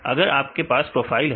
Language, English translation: Hindi, If you have the profile right